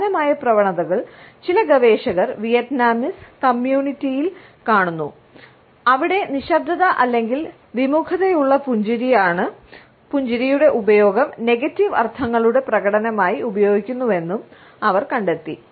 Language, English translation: Malayalam, The similar tendencies are seen in Vietnamese community by certain researchers, where they have found that silence or the use of a reluctant smile is used as an expression of negative connotations